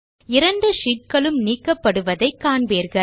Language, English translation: Tamil, You see that both the sheets get deleted